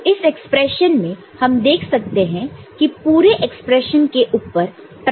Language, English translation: Hindi, So, here in this expression, we see that there the whole expression that is a prime over there